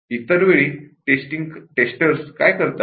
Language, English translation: Marathi, What do the testers do other times